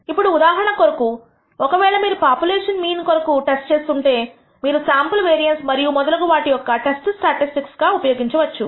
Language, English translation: Telugu, Now, this could be for example, if you are testing for the population mean you may use as the test statistic, the sample mean